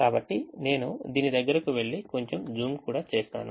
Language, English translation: Telugu, so let me go to this try and let me also zoom it little bit